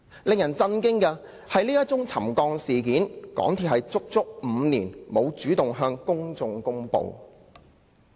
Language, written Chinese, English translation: Cantonese, 令人震驚的是，香港鐵路有限公司足足5年沒有主動向公眾公布這宗沉降事件。, What is astonishing is that the MTR Corporation Limited MTRCL has not proactively announced the subsidence to the public for five full years